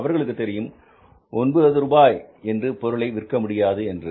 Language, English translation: Tamil, They know it that selling at 9 rupees is also not possible for the new player